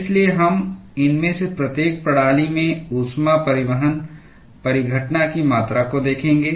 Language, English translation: Hindi, So, we will be looking at the quantitation of the heat transport phenomena in each of these systems